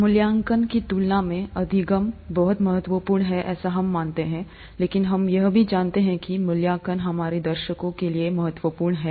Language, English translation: Hindi, The learning is much more important than the evaluation is what we believe, but we also know that the evaluation is important for our audience